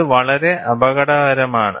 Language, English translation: Malayalam, It is very, very dangerous